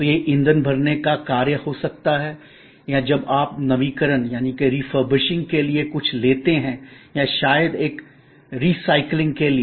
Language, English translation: Hindi, So, this could be the act of refueling or when you take something for refurbishing or maybe for disposal of a recycling